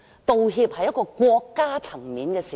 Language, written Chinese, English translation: Cantonese, 道歉可以是國家層面的事。, So the making of apologies can also be a state - level matter